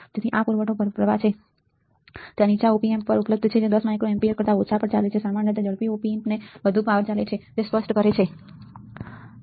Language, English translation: Gujarati, So, the this is your supply current, there are lower Op Amps available that run on less than 10 micro ampere usually the faster Op amp runs on more power, it is obvious it is obvious